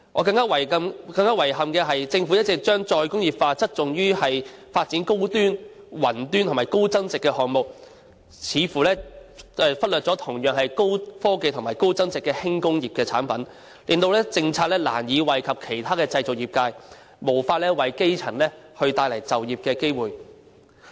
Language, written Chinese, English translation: Cantonese, 令我更遺憾的是，政府一直將再工業化側重於發展高端、雲端及高增值的項目，似乎忽略了同樣是高科技及高增值的輕工業的產品，令政策難以惠及其他的製造業界，無法為基層帶來就業的機會。, It is even more regrettable that the Government has all the time placed the emphasis of re - industrialization on high - end cloud - based and high value - added projects showing an apparent lack of attention to light industrial products that are equally high - tech and high value - added . As a result the re - industrialization policy can hardly benefit the manufacturing sector and cannot create jobs for grass - root people